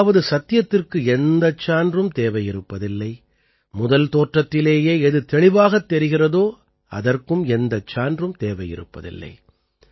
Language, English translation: Tamil, That is, truth does not require proof, what is evident also does not require proof